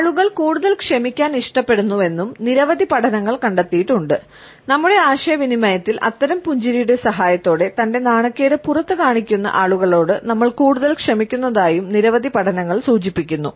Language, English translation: Malayalam, Several studies have also found that people like to forgive people more, that several studies have also suggested that in our interaction we tend to like as well as to forgive those people more, who show their embarrassment with the help of such a smile